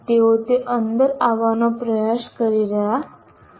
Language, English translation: Gujarati, They are trying to come within that